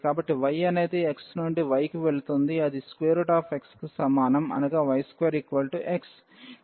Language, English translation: Telugu, So, y goes from x to y is equal to square root x which is y square is equal to x